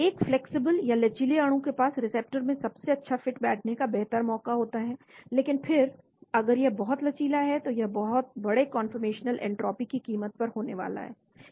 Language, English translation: Hindi, A flexible molecule has a better chance of finding an optimal fit into a receptor , but then if it is too much flexible it is going to be at the cost of large conformational entropy